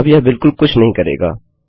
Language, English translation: Hindi, Now this would do absolutely nothing